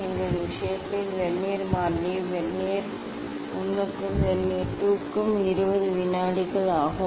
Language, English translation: Tamil, for our case the vernier constant is 20 second for vernier 1 as well as for Vernier 2 that we have to note down